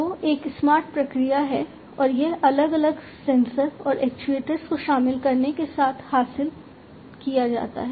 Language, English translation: Hindi, So, basically you know it is a smart, smart process and this smartness is achieved with the incorporation of different sensors and actuators, and so on